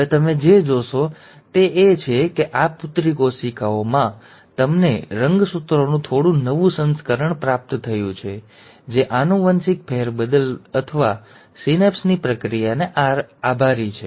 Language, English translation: Gujarati, Now what you will notice is that in these daughter cells, you have received slightly newer version of the chromosomes, thanks to the process of genetic shuffling or the synapse